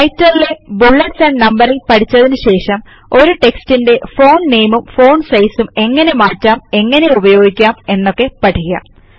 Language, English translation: Malayalam, After learning about Bullets and Numbering in Writer, we will now learn how the Font name and the Font size of any text can be changed or applied